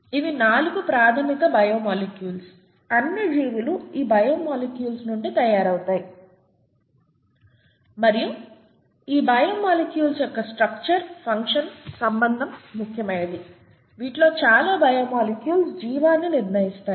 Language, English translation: Telugu, So these are the 4 fundamental biomolecules, all life is made out of these biomolecules and the structure function relationship is important in these biomolecules, many of these biomolecules, and that is what determines life itself